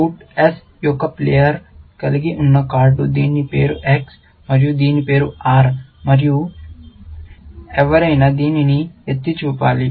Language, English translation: Telugu, The card held by player of suit S, whose name is X, and whose name is R, and somebody should have pointed this out